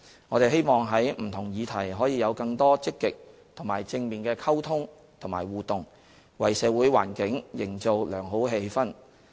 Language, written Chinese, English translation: Cantonese, 我們希望在不同議題可以有更多積極和正面的溝通和互動，為社會環境營造良好氣氛。, We hope that there will be more proactive and positive communication and interaction on different issues to build up a better social atmosphere